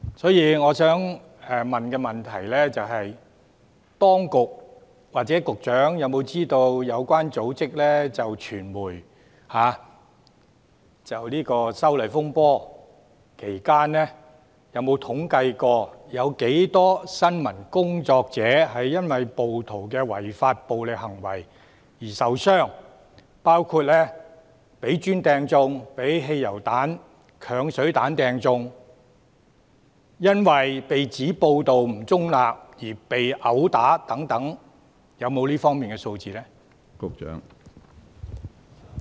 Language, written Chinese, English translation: Cantonese, 所以，我想問當局或局長是否知悉，有關組織有否統計在修例風波期間，有多少新聞工作者因為暴徒的違法暴力行為而受傷？包括被磚擲中、被汽油彈、鏹水彈擲中、因為被指報道不中立而被毆打等，當局是否有這方面的數字呢？, In this connection I would like to ask the authorities or the Secretary if they know whether any organization concerned has compiled statistics on the number of reporters sustaining injuries from the rioters illegal acts of violence during the disturbances arising from the proposed legislative amendments including reporters sustained injuries from being hit by bricks petrol bombs and acid bombs reporters assaulted for being allegedly biased in reporting news and so on